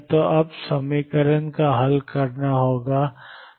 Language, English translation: Hindi, So now, this equation is to be solved